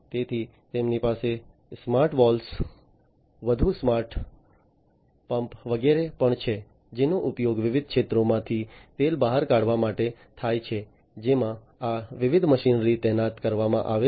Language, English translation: Gujarati, So, they also have smarter valves, smarter smart pumps and so on, which are used to pump out oil from the different fields, in which these different machinery are deployed